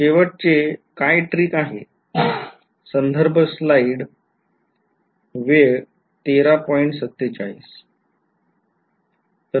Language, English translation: Marathi, What is the final trick